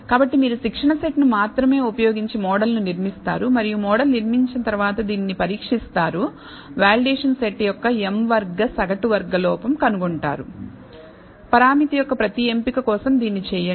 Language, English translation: Telugu, So, you build the model using only the training set and after you have built the model you test it find the m square mean squared error on the validation set, do this for every choice of the parameter